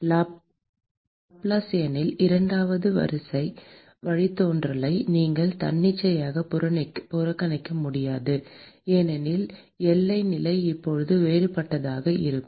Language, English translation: Tamil, You cannot arbitrarily neglect the second order derivative in the Laplacian, because the boundary condition is now going to be different